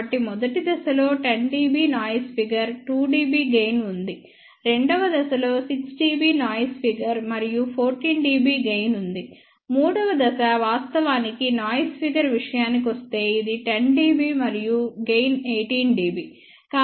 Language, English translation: Telugu, So, the first stage has a noise figure of 2 dB gain of 10 dB, second stage has noise figure of 6 dB and gain of 14 dB, third stage is actually quiet bad as were as the noise figure is concerned it is 10 dB and gain is 18 dB